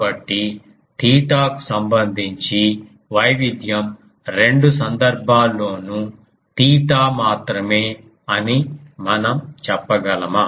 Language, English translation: Telugu, So, can we say you see the variation with respect to theta is only theta in both the cases